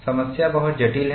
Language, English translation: Hindi, The problem is very complex